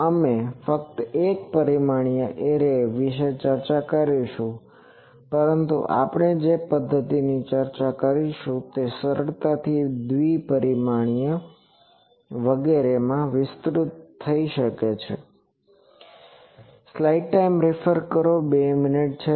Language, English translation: Gujarati, Actually, we will discuss only one dimensional array, but the method that we will discuss can be easily extended to the two dimensional arrays etc